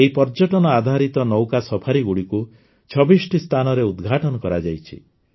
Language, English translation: Odia, This Tourismbased Boat Safaris has been launched at 26 Locations